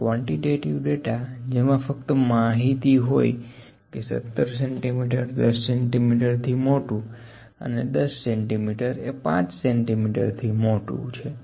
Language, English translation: Gujarati, And in quantitative data with just have the information 17 centimetres is greater than 10 centimetres which is greater than 5 centimetres